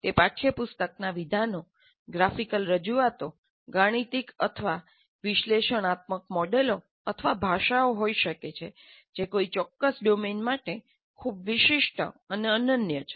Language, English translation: Gujarati, They can be textual statements, graphical representations, mathematical or analytical models, or languages which are very specific and unique to a particular domain